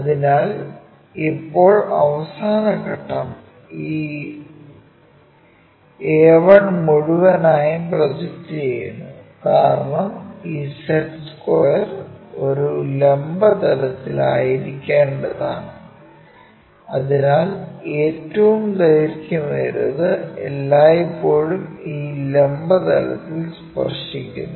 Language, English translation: Malayalam, So, now, the last step is project this entire a 1 all the way down, because this set square supposed to be on vertical plane so, the longest one always being touch with this vertical plane